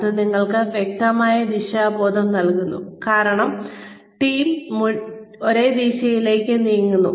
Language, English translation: Malayalam, It gives you a clear sense of direction, because the whole team is moving, in the same direction